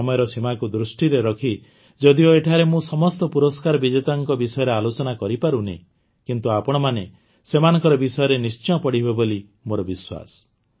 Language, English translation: Odia, Due to the limitation of time, I may not be able to talk about all the awardees here, but I am sure that you will definitely read about them